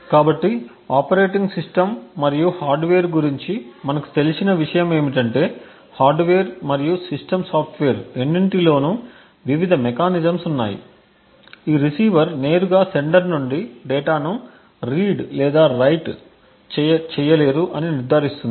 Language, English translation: Telugu, So what we do know about the operating system and the hardware is that there are various mechanisms which are incorporated in both the hardware and the system software that would ensure that this receiver would not directly be able to read or write data from the sender and vice versa